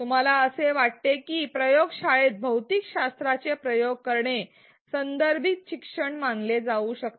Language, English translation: Marathi, Do you think doing physics experiments in the lab can be considered as contextualized learning